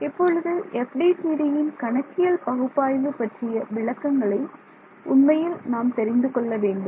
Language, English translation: Tamil, Now, we have to actually get it in to the details of the numerical analysis of FDTD